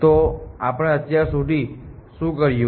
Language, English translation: Gujarati, So what have we done so far